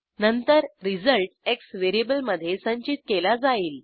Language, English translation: Marathi, Then the result is stored in variable x